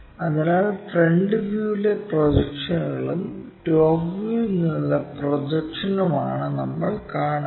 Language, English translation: Malayalam, So, it is a line what we are seeing is projections in the front view and projection from the top in the top view